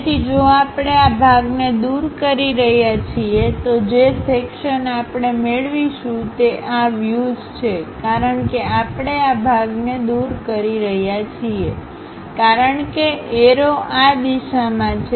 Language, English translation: Gujarati, So, if we are removing, this part, the section what we are going to get is these views; because we are removing this part, because arrow direction is in this direction